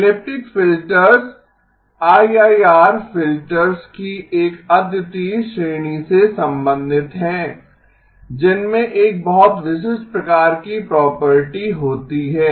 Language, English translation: Hindi, Elliptic filters belong to a unique class of IIR filters which have a very distinct type of property